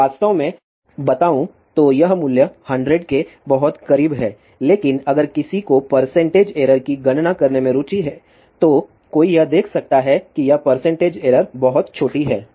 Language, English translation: Hindi, So, really speaking this value is very close to 100, but if somebody is interested to calculate percentage error one can see that this percentage error is very very small